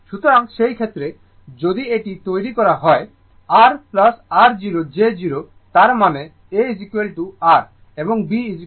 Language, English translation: Bengali, So, in that case, in that case, if it is made R plus your 0 j 0; that means, a is equal to R right and b is equal to 0